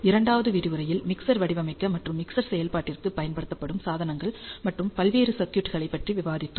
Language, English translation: Tamil, In the second lecture, we discussed devices and various circuits that are used for mixer design or mixer implementation